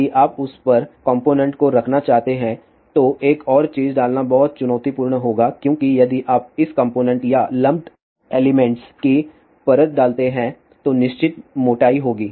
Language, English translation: Hindi, If you want to put components on that then putting another thing will be very challenging because the reason if you put the layer this components or lamped elements will have certain thickness